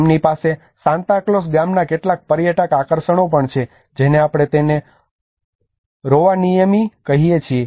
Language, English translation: Gujarati, They have also some tourist attractions of Santa Claus village which we call it as Rovaniemi